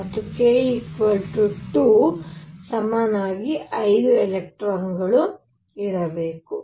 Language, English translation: Kannada, And for k equals 2 there should be 5 electrons